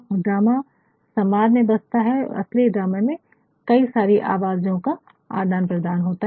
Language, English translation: Hindi, And, the dramaah lies in dialogue and the exchange between the true drama has got multi voices